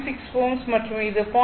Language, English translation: Tamil, 6 ohm and this is 0